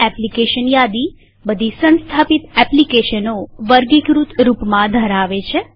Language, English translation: Gujarati, The application menu contains all the installed applications in a categorized manner